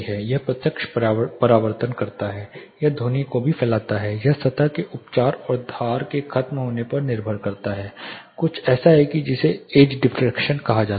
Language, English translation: Hindi, It does direct reflections, it also scatters the sound, it depends on the surface treatment and the edge finish there are something called edge diffraction's which will happen